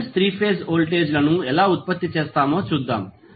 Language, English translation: Telugu, So, let us see how we generate balance 3 phase voltages